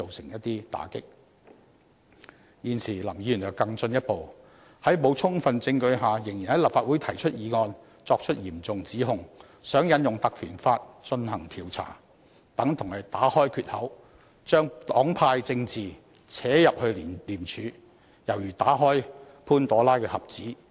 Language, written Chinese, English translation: Cantonese, 現時林議員則更進一步，在沒有充分證據下，仍然在立法會提出議案，作出嚴重指控，想要求引用《條例》進行調查，如此做法等同打開缺口，讓黨派政治滲進廉署，猶如打開潘朵拉的盒子。, Now Mr LAM even goes so far as to move a motion in this Council without sufficient evidence making serious allegations with the aim of invoking the Ordinance for launching an inquiry . This is no different from opening the floodgate allowing the penetration of partisan politics into ICAC . This is just like unlocking the Pandoras Box